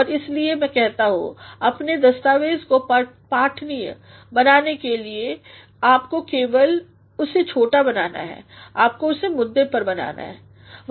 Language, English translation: Hindi, And this is why what I say is In order to make your document to become readable all you need to do is you need to make it brief, you need to make it to the point